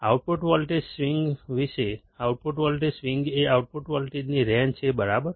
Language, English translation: Gujarati, About the output voltage swing, the output voltage swing is the range of output voltage, right